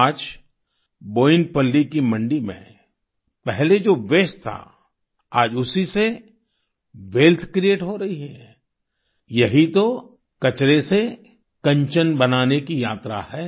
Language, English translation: Hindi, Today in Boinpalli vegetable market what was once a waste, wealth is getting created from that this is the journey of creation of wealth from waste